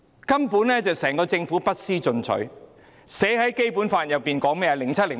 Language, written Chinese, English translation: Cantonese, 根本整個政府不思進取，《基本法》怎樣寫的呢？, The whole Government has not made any attempt to make progress . What is stipulated in the Basic Law?